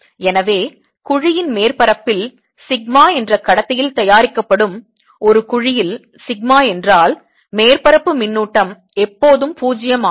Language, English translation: Tamil, so in a gravity made in a conductor, sigma on the surface of the gravity, sigma means surface charge is always zero